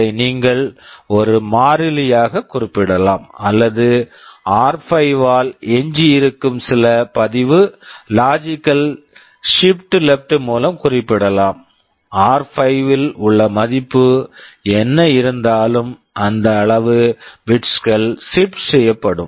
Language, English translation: Tamil, You can specify this as a constant or you can also specify some register, logical shift left by r5; whatever is the value in r5 that many bits will be shifted